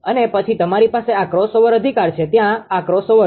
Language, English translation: Gujarati, And then you have this crossover right this crossover is there